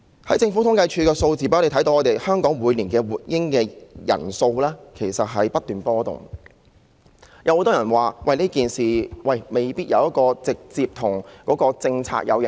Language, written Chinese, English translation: Cantonese, 從政府統計處的數字，可以看到香港每年出生的活嬰數目不斷波動，很多人認為這未必直接受到當局的政策影響。, We can see from the figures provided by the Census and Statistics Department that the number of live births recorded in Hong Kong each year keeps fluctuating but many people think that this may not be a direct consequence of the Governments policies